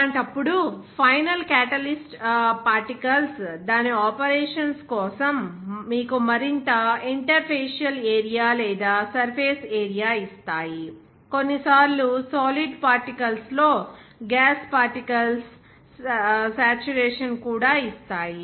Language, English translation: Telugu, In that case, final Catalyst particles give you the more interfacial area or surface area for its activity, even sometimes saturation of gases particles in solid particles